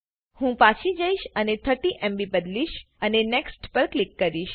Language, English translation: Gujarati, I will go back and change this to 30 MB and click on NEXT